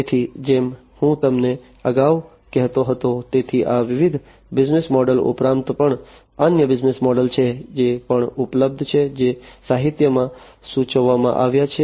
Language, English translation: Gujarati, So, as I was telling you earlier; so there are beyond these different business models, there are different other business models, that are also available, that have been proposed in the literature